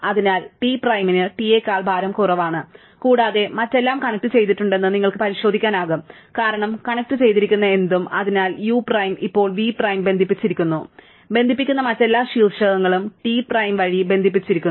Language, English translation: Malayalam, Therefore, T prime has a weight strictly less than T and you can check that everything else is connected because anything which have connected, so u prime is now connected v prime through this long thing and therefore, all other vertices which connect by T remain connected by T prime